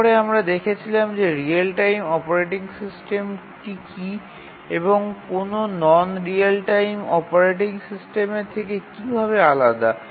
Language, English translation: Bengali, We saw how real time operating system differs from a non real time operating system